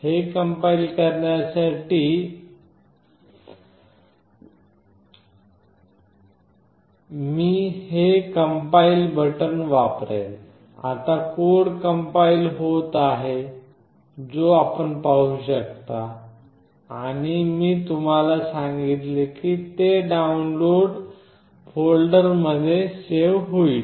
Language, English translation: Marathi, Now, I will use this compile button to compile it, now the code is getting compiled you can see and I have told you that, it will get saved in Download folder